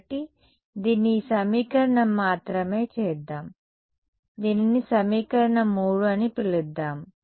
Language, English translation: Telugu, So, let us this just this equation let us call it equation 3 right